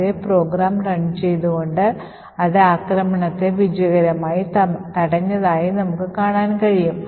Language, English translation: Malayalam, So, we would run the same program and we see that it has successfully prevented the attack